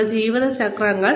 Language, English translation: Malayalam, Our life cycles